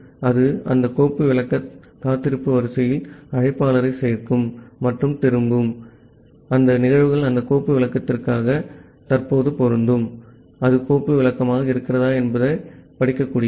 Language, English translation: Tamil, So, it will add the caller to that file descriptor wait queue and return, which events currently apply to that file descriptor whether it is file descriptor is readable